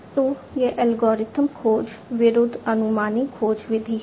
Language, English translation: Hindi, So, it is algorithmic search versus heuristic search method